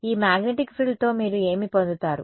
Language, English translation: Telugu, What do you get with this magnetic frill